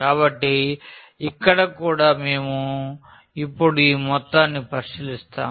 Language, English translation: Telugu, So, here as well so, we will consider this sum now